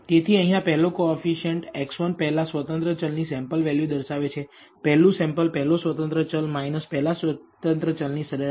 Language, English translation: Gujarati, So, the first coefficient here will be x 11 represents the sample value of the first independent variable, first sample first independent variable, minus the mean value of the first independent variable